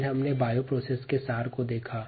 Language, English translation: Hindi, then we looked at the over view of the bio process